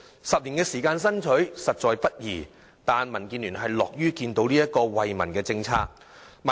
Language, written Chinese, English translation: Cantonese, 十年時間的爭取，實在不易，但民建聯樂見這項惠民政策的落實。, This 10 - year fight has not been won easily but DAB is happy to see this policy implemented which benefits the community